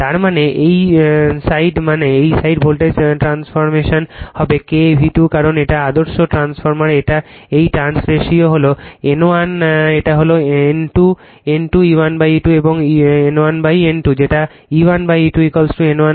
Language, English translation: Bengali, That means this side that means, this side voltage transformation it will be K into V 2 because it is ideal transfer this trans ratio is N 1 this is N 2 E 1 upon E 2 is equal to N 1 upon N 2 that is your E 1 upon E 2 is equal to your N 1 upon N 2, right